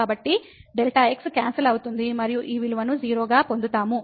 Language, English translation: Telugu, So, delta gets cancel and we will get this value as 0